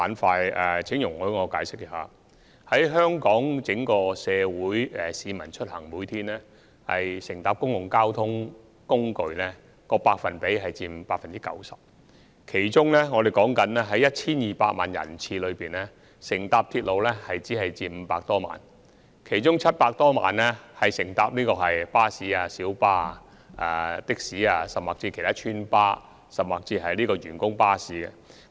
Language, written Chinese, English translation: Cantonese, 在整體香港社會，市民每天出行乘搭交通工具的比例為 90%， 而在 1,200 萬人次中，乘搭鐵路的僅佔500多萬人次，其餘700多萬人次乘搭巴士、小巴、計程車、村巴或員工巴士等。, In Hong Kong as a whole 90 % of the people take public transport for commuting every day . Among the 12 million passenger trips railway service only carry over 5 million passenger trips and the remaining 7 - odd million passenger trips are carried by buses minibuses taxis and buses providing residents services and employees services